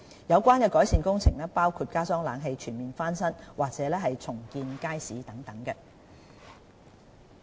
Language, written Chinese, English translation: Cantonese, 有關改善工程可包括加裝冷氣、全面翻新，甚或重建街市等。, The relevant improvement works could include installation of air - conditioning systems major overhaul or even redevelopment